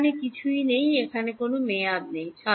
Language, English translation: Bengali, There is nothing over here there is no term over here